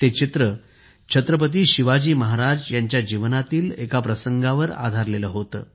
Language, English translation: Marathi, This painting was based on an incident in the life of Chhatrapati Veer Shivaji Maharaj